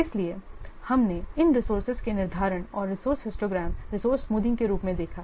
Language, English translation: Hindi, So we have seen this resource scheduling of resources, the resource histogram, resource smoothing